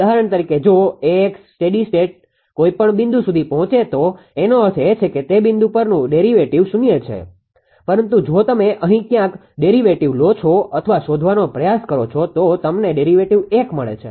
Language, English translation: Gujarati, For example, if AX reaches to a steady state any point; that means, it is derivative at that point is equal to 0, but if you take somewhere here somewhere here derivative if you try to find out the derivative 1